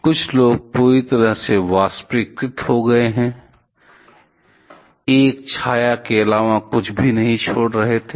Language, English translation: Hindi, Some people were completely vaporized, leaving behind nothing but a shadow